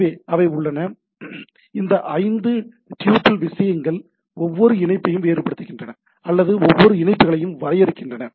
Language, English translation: Tamil, So, they are in they are these five tuple distinguishes stuff distinguishes every connection or defines every connections